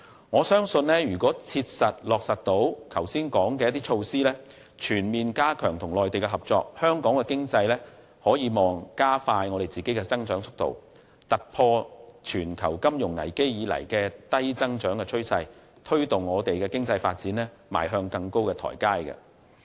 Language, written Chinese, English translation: Cantonese, 我相信只要能夠切實落實剛才提及的措施，全面加強與內地的合作，香港將有望加快經濟增長的速度，突破自全球金融危機以來的低增長趨勢，並推動香港的經濟發展邁向更高的台階。, I believe so long as the Government can effectively implement the above mentioned measures and make all - out efforts to strengthen cooperation with the Mainland Hong Kong will hopefully speed up economic growth break the low - growth cycle that began with the global financial crisis and take the economic development of Hong Kong to a higher level